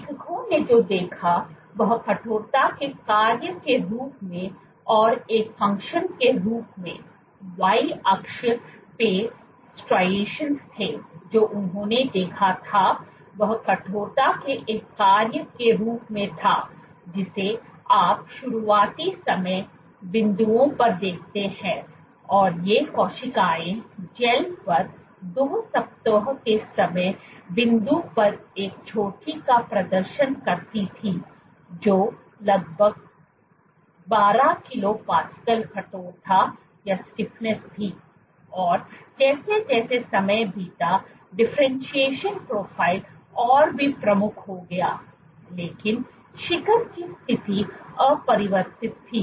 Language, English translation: Hindi, So, the Y axis were striations, what they observed was as a function of stiffness you see at early time points these cells exhibited a peak at a 2 week time point on gels which were roughly 12 kilo Pascale stiffness and this as time went on the differentiation profile grew even more prominent, but the position of the peak remained unchanged